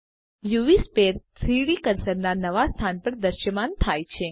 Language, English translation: Gujarati, The UV sphere appears at the new location of the 3D cursor